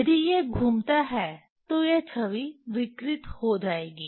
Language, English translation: Hindi, If it is rotates, this image will be deformed